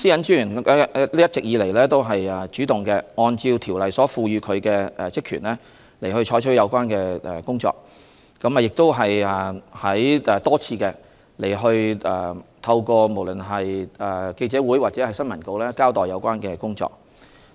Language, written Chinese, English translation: Cantonese, 專員一直也主動按照《私隱條例》賦予他的職權進行有關的工作，亦多次透過記者會或新聞稿交代有關的工作。, These incidents are very serious . All along the Commissioner has actively exercised his power under PDPO to carry out the relevant work and he has explained the relevant work repeatedly at press conferences or in press releases